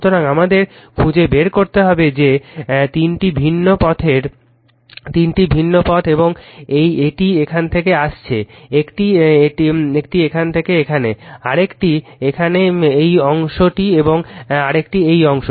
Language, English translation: Bengali, So, we have to find out you have to what you call you have that three different path right three different path and this is from here is; one from here to here, another is here this limb and another is this limb right